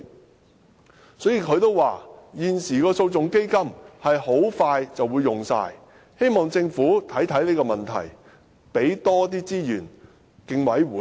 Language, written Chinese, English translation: Cantonese, 胡紅玉主席表示，現時的訴訟基金很快便會用完，希望政府能檢視這個問題，多撥資源予競委會。, According to Chairperson Anna WU the existing litigation fund will soon be exhausted . She hopes that the Government can review this issue and allocate more resources to CCHK